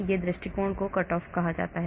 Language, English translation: Hindi, Another approach is called the cut off